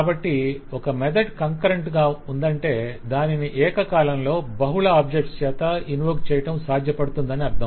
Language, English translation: Telugu, So if you say that a method is concurrent, then it is possible to invoke it by multiple objects at the same time